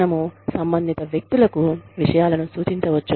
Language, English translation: Telugu, We can refer the matters, to the concerned people